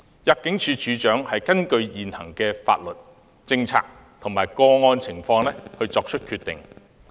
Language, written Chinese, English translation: Cantonese, 入境處處長根據現行法律、政策及個案情況作出決定。, The decisions of the Director of Immigration are based on the existing legislation policy and circumstances of each case